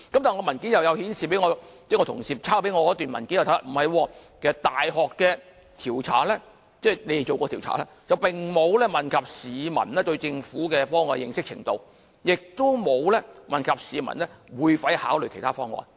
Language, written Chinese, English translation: Cantonese, 但是，我同事抄給我的文件顯示，大學的調查並沒有問及市民對政府的方案的認識程度，亦沒有問及市民會否考慮其他方案。, That said as shown in the documents copied to me from fellow Members surveys conducted by universities neither studied the peoples knowledge about the Governments proposal nor asked if the respondents would consider alternative proposals